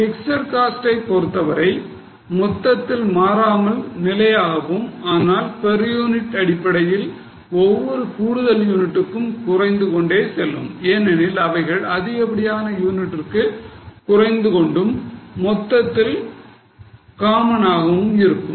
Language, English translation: Tamil, As far as fixed costs are concerned, they are going to be constant at a total but on per unit basis they go on reducing for every extra unit because they are common in total they will go on reducing for more units